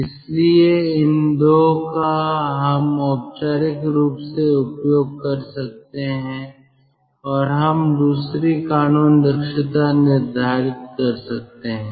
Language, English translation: Hindi, so either of these two, or formally, we can use and we can determine the second law efficiency